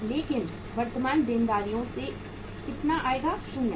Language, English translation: Hindi, But how much will come from the current liabilities that is 0